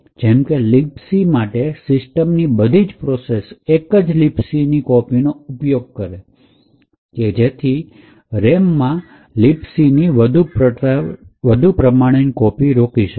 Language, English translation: Gujarati, For example, Libc, all programs that are run in the system would use the same copy of Libc, so as not to duplicate Libc in the RAM